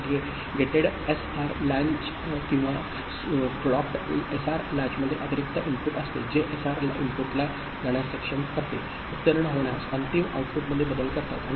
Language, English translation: Marathi, And in gated SR latch or clocked SR latch there is additional input which enables SR input to go pass through, make changes in the final output